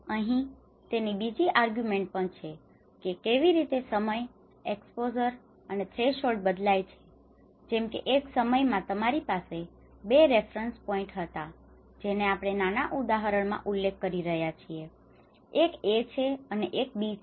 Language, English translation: Gujarati, There is also the second argument of it is how in time, how the exposure and the threshold you know how it varies, in time 1, like you have that there are 2 reference points which we are referring in this small example, one is A and one is B